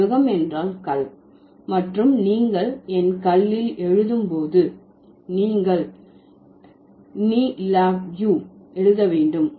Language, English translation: Tamil, But when that means my house, lab means stone and when you write my stone, then you have to write ne lab u